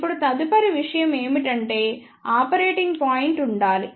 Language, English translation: Telugu, Now, the next thing is there should be the operating point